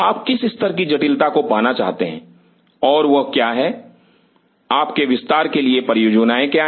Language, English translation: Hindi, What level of sophistication you want to achieve and what are the, what are your plans for expansion